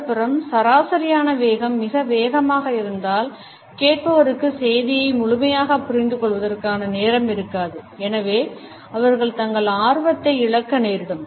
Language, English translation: Tamil, On the other hand, if the average speed is too fast the listener does not have enough time to interpret fully the message and therefore, would also end up losing interest